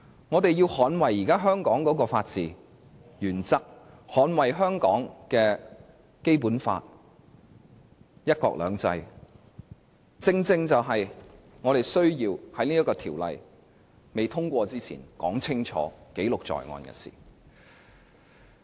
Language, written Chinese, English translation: Cantonese, 我們要捍衞現時香港的法治原則，捍衞香港的《基本法》、"一國兩制"，這正正是我們需要在條例未通過之前說清楚，記錄在案的事情。, The safeguard of the principle of rule of law in Hong Kong of Hong Kongs Basic Law as well as of the one country two systems is the very task we have to clearly speak out and put into record before the passage of the Bill